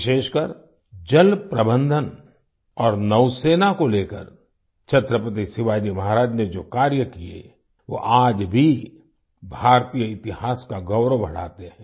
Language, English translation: Hindi, In particular, the work done by Chhatrapati Shivaji Maharaj regarding water management and navy, they raise the glory of Indian history even today